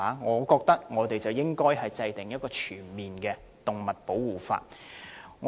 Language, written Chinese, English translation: Cantonese, 我們認為當局應制訂全面的動物保護法。, We consider that it is high time for the authorities to enact comprehensive legislation on animal protection